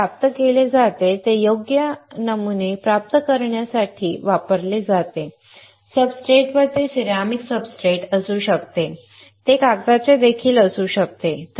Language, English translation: Marathi, It is obtained to it is used to obtain desired patterns right on the substrate it can be ceramic substrate it can be paper as well right